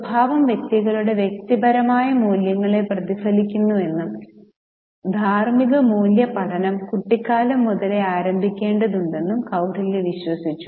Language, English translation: Malayalam, Now, Kautilia believed that character reflected personal values of individuals and ethical value learning must commence right from childhood